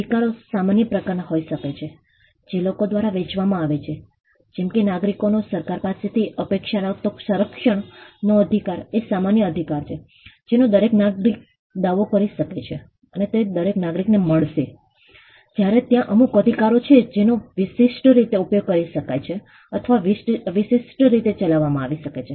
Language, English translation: Gujarati, Rights can be of a general nature which are shared by people; like, the right of protection a citizen expects from the government is a general right which every citizen can claim and every citizen will get, whereas there are certain rights that could be operated, or that could be exercised in an exclusive manner